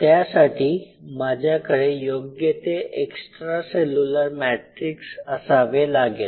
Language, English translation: Marathi, I should have the right set of extra cellular matrix